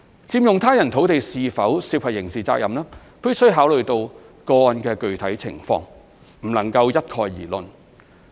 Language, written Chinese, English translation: Cantonese, 佔用他人土地是否涉及刑事責任，必須考慮個案的具體情況，不能一概而論。, Whether occupation of someone elses land is criminally liable depends on the circumstances of individual cases and cannot be generalized